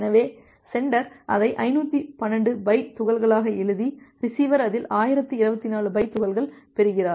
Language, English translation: Tamil, So, the sender has written it at 512 bytes chunks and the receiver is receiving in that 1024 bytes chunks